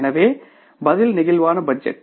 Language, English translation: Tamil, So, the answer is the flexible budgets